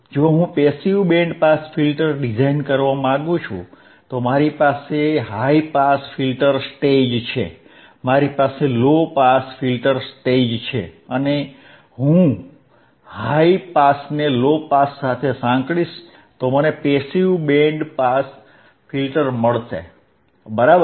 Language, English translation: Gujarati, So,, I have a high pass filter stage, I have a low pass filter stage, and if I integrate high pass with low pass, if I integrate the high pass stage with low pass stage I will get a passive band pass filter, right